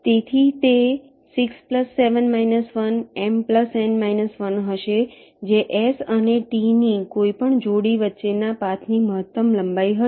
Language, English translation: Gujarati, ok, m plus n minus one, that will be the maximum length of a path between any pair of s and t